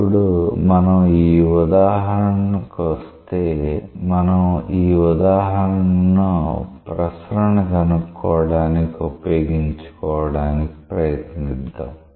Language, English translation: Telugu, Now, if we come to this example, we will try to utilize this example to find out the circulation